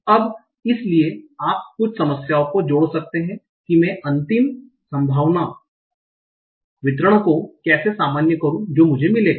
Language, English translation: Hindi, So, but you might end up having some problems with how do I normalize the final probability distribution that I will get